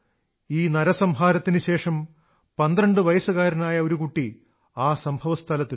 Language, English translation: Malayalam, Post the massacre, a 12 year old boy visited the spot